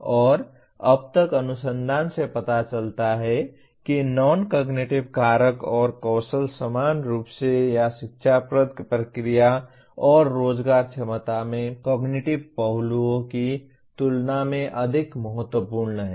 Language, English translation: Hindi, And till now, the research shows that the non cognitive factors and skills are equally or even more important than cognitive aspects in educative process and employment potential